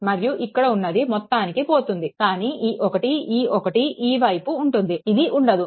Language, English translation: Telugu, And this will not be there completely gone, but this one, this one, this side will be there, this will not be there